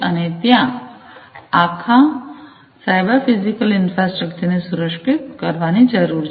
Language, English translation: Gujarati, And there is need for securing the entire cyber physical infrastructure that is there